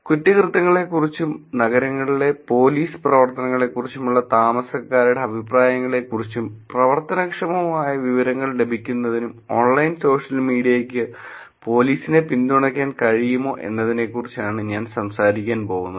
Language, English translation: Malayalam, And then I am going to be taking about whether online social media can support police to get actionable information about crime and residents’ opinion about policing activities in urban cities yeah, so that is the goal